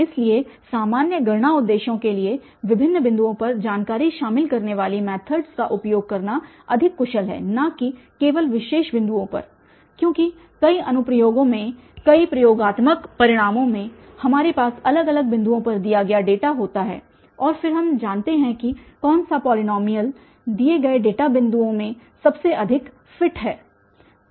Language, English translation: Hindi, So, for ordinary computation purposes, it is more efficient to use methods that include information at various points not at just particular point because in many applications, many experimental results we have at different different points the given data and then we want to know that which polynomial fits the best, the given data points